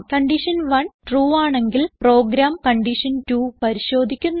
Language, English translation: Malayalam, In this case, if condition 1 is true, then the program checks for condition 2